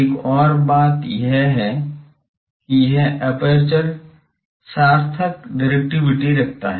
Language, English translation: Hindi, Another thing is this aperture to have meaningful directivity